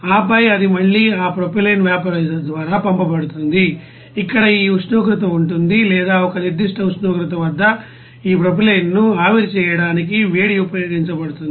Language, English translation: Telugu, And then it will be you know again sent through that propylene vaporizer, where this you know temperature will be you know or heat will be used to vaporize this propylene at a certain temperature